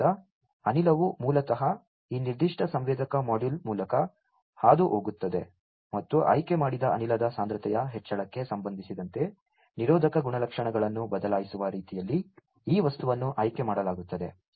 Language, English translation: Kannada, So, gas basically is passed through this particular sensor module and this material is chosen in such a way that it is going to change it is resistive properties with respect to the concentration increase in concentration of the chosen gas